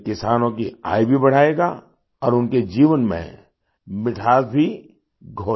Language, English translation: Hindi, This will lead to an increase in the income of the farmers too and will also sweeten their lives